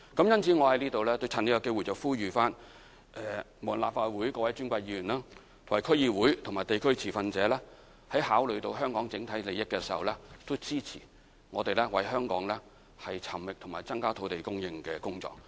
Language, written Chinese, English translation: Cantonese, 因此，我在這裏趁機會呼籲各位尊貴的立法會議員、區議員和地區持份者考慮香港整體利益，支持我們為香港尋覓和增加土地供應的工作。, Therefore I take this opportunity to implore all Honourable Members district councillors and stakeholders in the community to support our work in site identification and in increasing land supply for the sake of the overall interest of Hong Kong